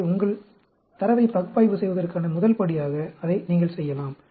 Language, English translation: Tamil, So, you can do that as your first step to analyze your data